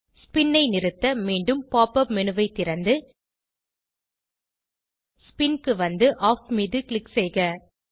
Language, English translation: Tamil, To turn off the spin, Open the Pop up menu again, Scroll down to Spin and click on Off